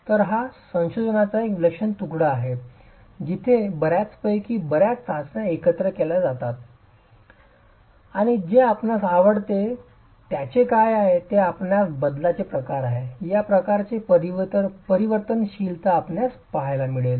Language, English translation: Marathi, So this is a fantastic piece of research where lot of these tests have been clubbed together and what is of immense interest is the kind of variability that you will get, the kind of variability that you will get